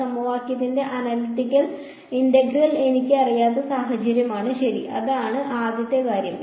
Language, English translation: Malayalam, It is the case where I do not know the analytical integral of an equation ok, that is the first thing